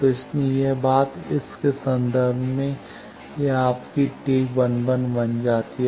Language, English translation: Hindi, So, that why this thing, this becomes your T 11 in terms of this